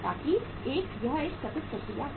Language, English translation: Hindi, So that it is a continuous process